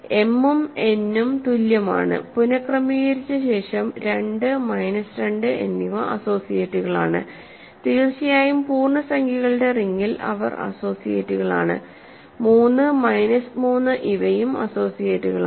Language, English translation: Malayalam, So, m and n are equal and after having rearranged 2 minus 2 are associates, of course in the ring of integers they are associates 3 minus 3 are associates